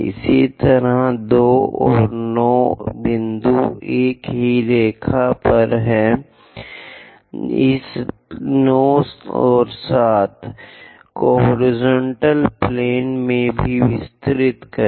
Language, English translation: Hindi, Similarly, at 2 and 9 points are on the same line, extend this 9 and 7 also in the horizontal plane